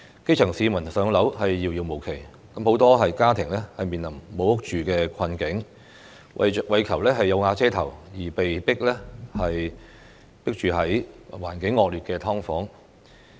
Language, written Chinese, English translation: Cantonese, 基層市民"上樓"遙遙無期，很多家庭面臨"無屋住"的困境，為求"有瓦遮頭"，而被迫擠住在環境惡劣的"劏房"。, The grass roots have no prospect of moving into PRH in the foreseeable future and many families are facing the plight of not having flats to live so they are forced to be cramped in SDUs with a poor living environment in a bid to have a shelter to dwell under